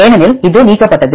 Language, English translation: Tamil, Because this is deleted